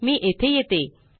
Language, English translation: Marathi, It is here